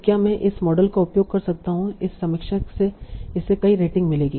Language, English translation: Hindi, So can I use this model to say, okay, this review will get that many ratings